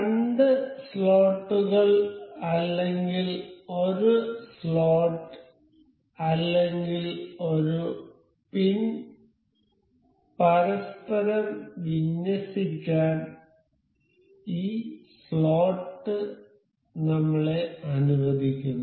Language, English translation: Malayalam, So, this slot allows us to align the slot the two slots or a slot or a pin to one another